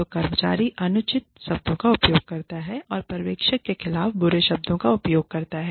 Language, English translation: Hindi, So, the employee uses, unreasonable words, uses bad words, against the supervisor